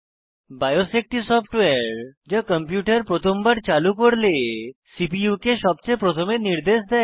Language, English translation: Bengali, BIOS is the software which gives the CPU its first instructions, when the computer is turned on